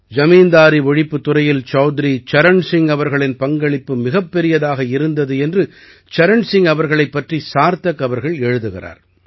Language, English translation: Tamil, On Chaudhary Charan Singh ji, Sarthak ji writes that he was unaware of Chaudhary Charan Singh ji's great contribution in the field of zamindari abolition